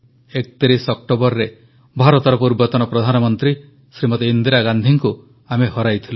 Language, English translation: Odia, On the 31st of October we lost former Prime Minister of India, Smt